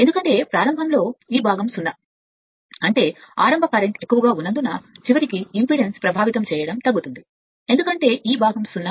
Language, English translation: Telugu, Because at the at the start this part is 0; that means, ultimately affecting impedance is getting reduced because of that starting current is higher because this part is 0 right